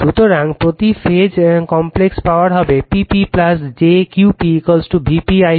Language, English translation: Bengali, So, the complex power per phase will be P p plus jQ p is equal to V p I p conjugate